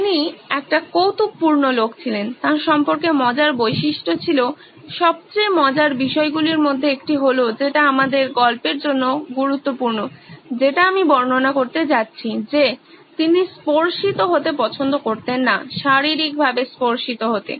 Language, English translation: Bengali, He was also a quirky guy he had funny characteristics about him, one of the most funny ones that is important for our story that I am going to describe is that he didn’t like to be touched, physically touched